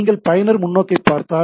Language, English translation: Tamil, So, if you look at the user perspective